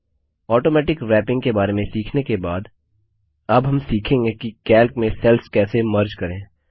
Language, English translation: Hindi, Lets undo the changes After learning about Automatic Wrapping, we will now learn how to merge cells in Calc